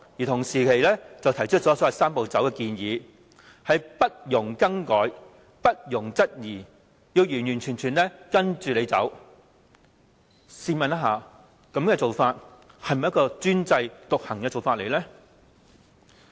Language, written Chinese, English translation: Cantonese, 同時，又提出所謂"三步走"的建議，不容更改、不容質疑，要完全跟着政府走，試問這是否專制獨行的做法呢？, The Government has also put forward the so - called Three - step Process which in effect tells us that its co - location proposal must be followed completely without any amendments and queries whatsoever . This is downright autocratic isnt it?